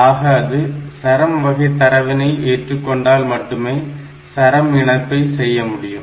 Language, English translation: Tamil, So, does it support string type data and if it supports string type data can it do string concatenation